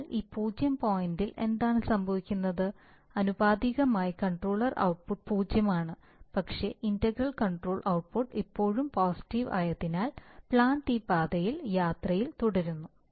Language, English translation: Malayalam, So what happens at this point, at this point error is zero, so the proportional controller output is zero but because the integral controller output is still positive, so the plant continues on this journey, in this path, right